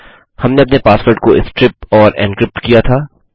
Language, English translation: Hindi, We have stripped and encrypted our password